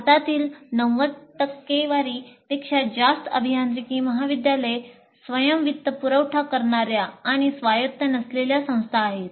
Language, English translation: Marathi, And more than 90% of engineering colleges in India are self financing and non autonomous institutions